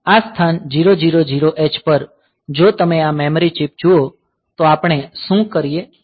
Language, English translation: Gujarati, So, at the location 000 h; so, if you look into this memory map; so, what we do